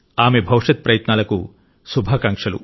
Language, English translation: Telugu, I wish her all the best for her future endeavours